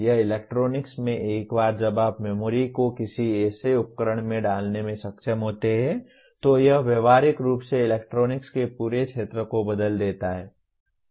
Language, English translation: Hindi, This is in electronics once you are able to put memory into something into a device it practically it has changed the entire field of electronics